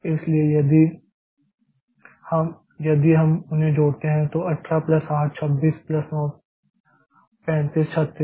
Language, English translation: Hindi, So, if you add them so 18 plus 8, 26 plus 9 35, 36